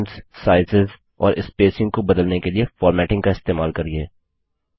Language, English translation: Hindi, Use formatting to change the fonts, sizes and the spacing